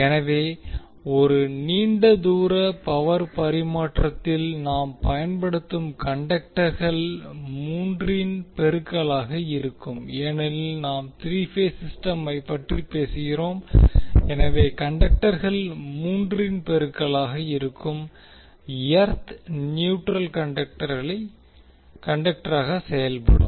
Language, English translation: Tamil, So in a long distance power transmission the conductors we use are in multiple of three because we are talking about the three phase system, so the conductors will be in multiple of three and R3 will act as neutral conductor